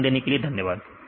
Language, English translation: Hindi, Thanks for your kind attention